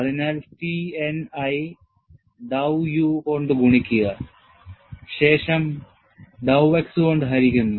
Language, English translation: Malayalam, So, I have T n i multiplied by dow u i divided by dow x